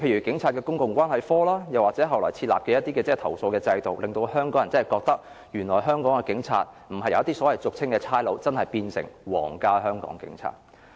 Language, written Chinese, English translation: Cantonese, 警察公共關係科，或後來設立的投訴制度，令香港人覺得，原來香港的警察不再是俗稱的"差佬"，而真的變成皇家香港警察。, The work of the Police Public Relations Branch and the subsequent setting up of the complaint mechanism helps give Hong Kong people an impression that police officers in Hong Kong are truly members of the Royal Hong Kong Police Force not undisciplined cops